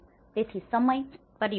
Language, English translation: Gujarati, So, there is also the time factor